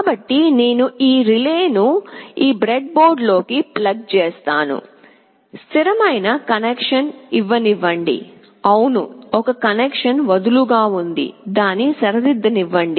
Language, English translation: Telugu, So I have plugged in this relay into this breadboard, let me make a solid connection … yes there is a loose connection let me just make it right